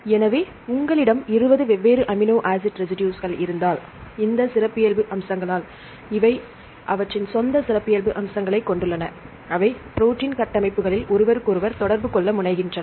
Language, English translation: Tamil, So, if you have 20 different amino acid residues, they have their own characteristic features due to this characteristic features they tend to interact with each other in protein structures right